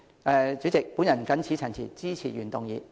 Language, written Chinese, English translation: Cantonese, 代理主席，我謹此陳辭，支持原議案。, With these remarks Deputy President I support the original motion